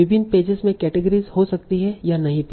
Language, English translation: Hindi, Categoration may or may not be there in various pages